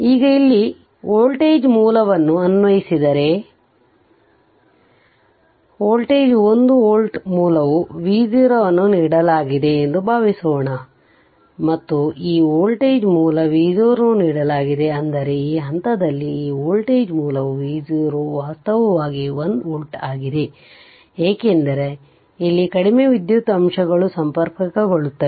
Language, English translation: Kannada, Now, if you apply a voltage source here right so, voltage 1 voltage source suppose V 0 is given right and, this voltage source this voltage source V 0 is given; that means, at this point this voltage source is V 0 actually is equal to 1 volt, because your what you call, because low electrical elements connect here